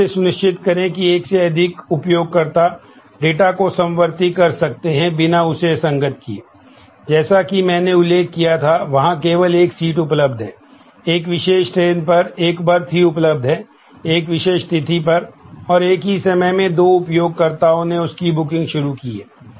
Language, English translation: Hindi, So, what how to make sure that more than one user can concurrently use an update without the data getting inconsistent, that is as I had mentioned, there is only one seat available, one berth available on a particular train, on a particular date and two users at the same time has initiated a booking